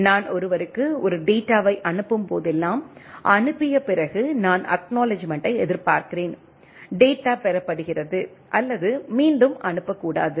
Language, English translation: Tamil, Whenever I am sending a data to somebody right so, after sending I am expecting acknowledgement, the data is received or not to resend